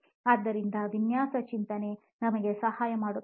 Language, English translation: Kannada, So design thinking will help us